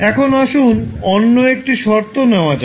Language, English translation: Bengali, Now, let us take another condition